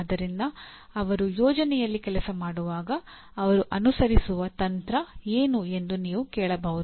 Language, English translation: Kannada, So you can ask what is the strategy that he is going to follow when he is working on a project